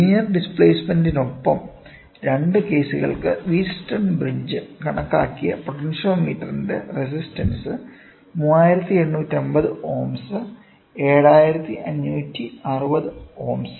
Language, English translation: Malayalam, With the linear displacement, when the resistance of the potentiometer as measured by Wheatstone bridge for two cases are 3850 ohms, 7560 ohms